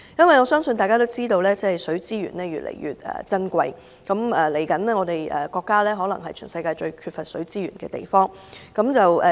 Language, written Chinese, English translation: Cantonese, 我相信大家也知道，水資源越來越珍貴，我國未來可能是全世界最缺乏水資源的地方。, I think we all know that water resources is getting increasingly precious . Our country may become the place most lacking in water resources in the future